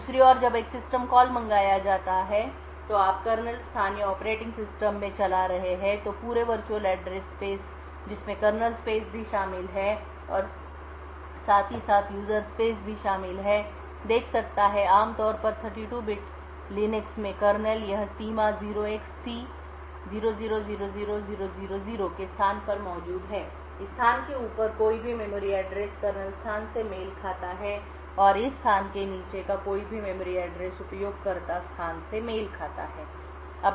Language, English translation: Hindi, On the other hand when a system call is invoked or you are running in the kernel space or in the operating system the entire virtual address space including that of the kernel space plus that of the user space is observable, typically in a 32 bit Linux kernel this boundary is present at a location 0xC0000000, any memory address above this particular location corresponds to a kernel space and any memory address below this location corresponds to that of a user space